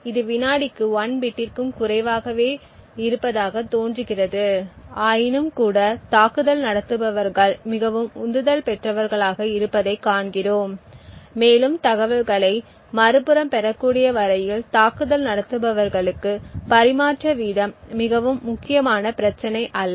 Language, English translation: Tamil, This seems to be much less than 1 bit per second but nevertheless we see that attackers are quite motivated, and the rate of transmission is not a very critical issue for attackers as long as the information can be obtained on the other side